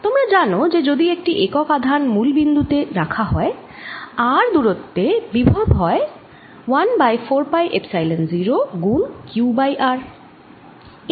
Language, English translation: Bengali, so what we learn is that v at infinity plus v at point r is equal to one over four pi epsilon zero, q over r